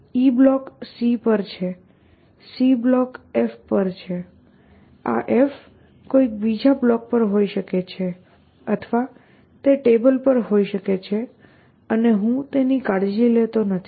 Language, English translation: Gujarati, So, e is on c, c is on f, this f could be on something else or it be on the table and I do not care about